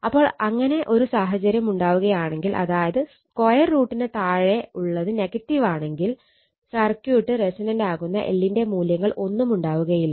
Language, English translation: Malayalam, So, if this condition is there; that means, under root comes square root of is negative then this question is what there will be no value of l will make the circuit resonance right